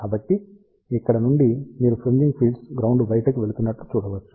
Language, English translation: Telugu, So, from here you can see that the fringing fields are going outward to the ground